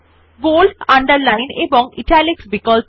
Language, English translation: Bengali, Bold, Underline and Italics options